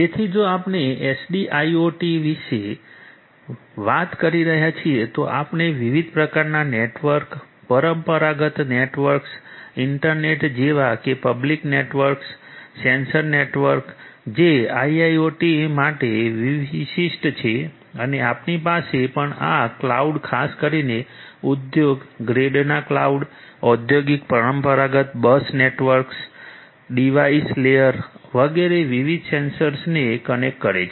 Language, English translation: Gujarati, So, if we are talking about SDIIoT we have different types of networks, the traditional networks like your internet public networks, sensor networks which is more specific to IIoT and you also have this cloud particularly industry grade cloud industrial traditional bus networks, connecting different sensors at the device layer and so on